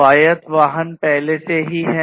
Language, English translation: Hindi, Autonomous vehicles are already in place